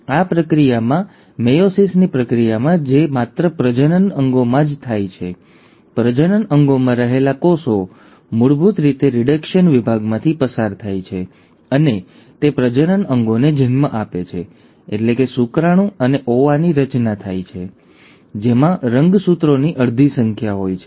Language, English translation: Gujarati, Now in this process, in the process of meiosis which happens only in the reproductive organs, the cells which are in the reproductive organs basically undergo reduction division and the give rise to gametes, that is, the formation of sperm and the ova, which has half the number of chromosomes